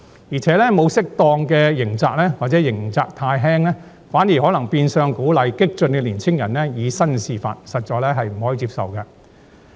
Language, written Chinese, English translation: Cantonese, 而且，沒有適當刑責或刑責太輕，反而可能變相鼓勵激進的年輕人以身試法，實在不能接受。, Moreover the lack of appropriate penalties or undue leniency thereof is unacceptable as it may conversely encourage radical young people to challenge the law